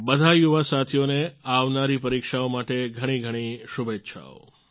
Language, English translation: Gujarati, Best wishes to all my young friends for the upcoming exams